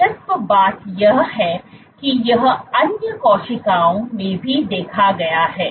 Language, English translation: Hindi, Interestingly so this has been observed in other cells also